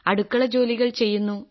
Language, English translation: Malayalam, I do kitchen work